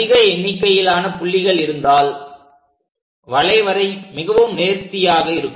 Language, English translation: Tamil, If we have more number of points, it will be very smooth curve